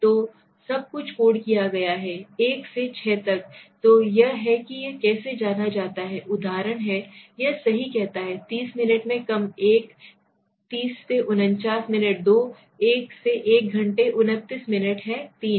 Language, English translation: Hindi, So everything has been coded 1,2,3,4,5,6, so this is how one goes is an example it says right, less than 30 minutes is 1, 30 to 59 minutes is 2, 1 hour to I hour 29 minutes is 3 it goes on okay